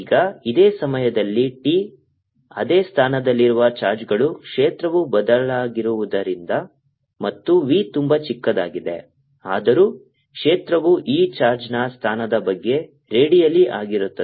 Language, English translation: Kannada, now in this same time t, since the charges in same position, the field also has change and v is very small though the field is going to be redial about this position of charge